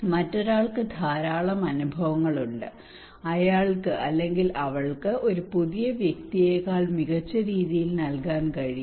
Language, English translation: Malayalam, Somebody has lot of experience he or she can deliver much better than a new person a fresh person